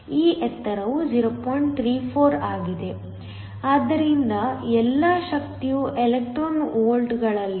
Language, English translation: Kannada, 34, So, all the energy are in electron volts